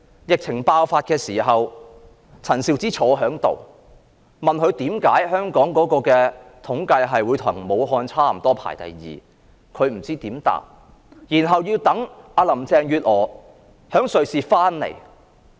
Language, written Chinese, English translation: Cantonese, 疫情爆發的時候，陳肇始坐在這裏，議員問她為何香港的統計數字與武漢差不多，排名第二，她不知怎樣回答，要待林鄭月娥從瑞士回港。, At the start of the outbreak Sophia CHAN was sitting here . Members asked her why the figure of Hong Kong was comparable to that of Wuhan and why Hong Kong held the second place she did not know how to respond and had to wait for Carrie LAM to return to Hong Kong from Switzerland